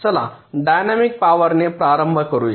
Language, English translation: Marathi, let us start with dynamic power